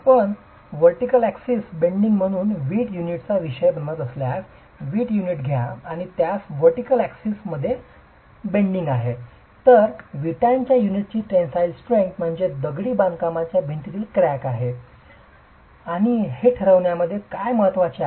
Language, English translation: Marathi, If you were subjecting the brick unit to bending about a vertical axis, take the brick unit and it is subjected to bending about a vertical axis, then the tensile strength of the brick unit is what matters in determining whether the crack in the masonry wall is going to split the brick unit or is it going to pass through the joint or the head joints itself